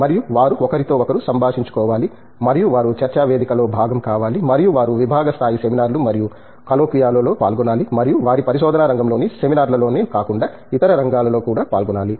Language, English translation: Telugu, And, they should interact with each other and they should be a part of a discussion forum and they should participate in department level, seminars and colloquia and not only the seminars in their research area, but also in the other areas as well